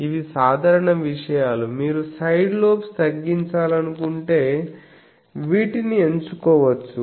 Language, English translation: Telugu, So, if you want to these are simple things that if you want to reduce side lobes you can go for these